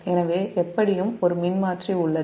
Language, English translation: Tamil, so there is a transformer in anyway